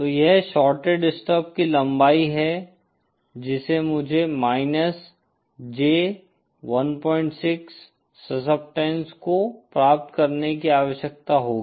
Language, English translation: Hindi, So this is the length of the shorted stub that I would need to achieve minus J 1